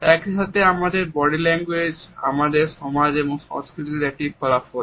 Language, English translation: Bengali, At the same time our body language is also a product of our society and culture